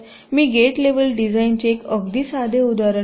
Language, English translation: Marathi, ok, let me take one very simple example of a gate level design